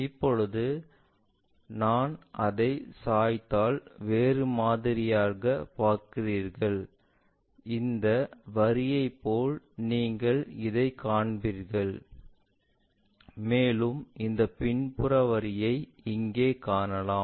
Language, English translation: Tamil, Now, if I tilt that you see something else, like this line you will see this one and also that backside line here you see this one